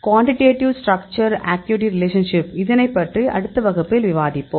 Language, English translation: Tamil, Quantitative Structure Activity Relationship Quantitative Structure Activity Relationship; that we will discuss in next class